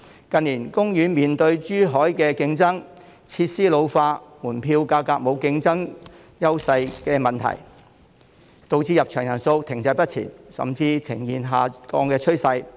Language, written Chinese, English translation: Cantonese, 近年，海洋公園面對來自珠海的競爭、設施老化、門票價格沒有競爭優勢等問題，導致入場人數停滯不前，甚至呈現下降的趨勢。, Its attendance has been stagnant or even on the decline in recent years in the face of competition from Zhuhai ageing facilities and uncompetitive admission fee